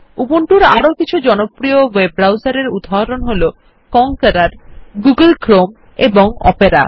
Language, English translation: Bengali, Some examples of other popular web browsers for Ubuntu are Konqueror, Google Chrome and Opera